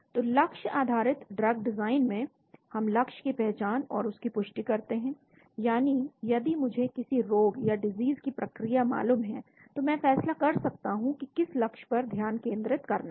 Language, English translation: Hindi, So in target based drug design, we identify target identification and validation, that means if I know the disease mechanism I decide on which target to focus on